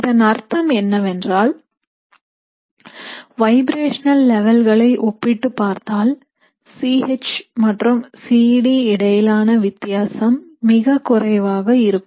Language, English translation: Tamil, So what that means is if you were to compare the vibrational levels here, the difference between C H and C D will be very less